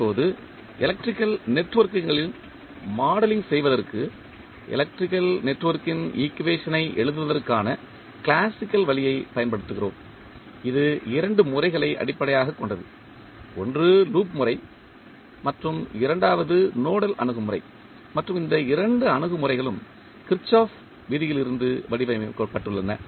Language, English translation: Tamil, Now, for modeling of electrical networks, we use the classical way of writing the equation of electrical network and it was based on the two methods one was loop method and second was nodal approach and these two approach are formulated from the Kirchhoff’s law